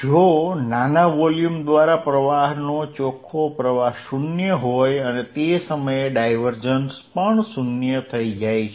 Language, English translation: Gujarati, If net flow in flow in a through a small volume is 0 and at that point divergence is going to be 0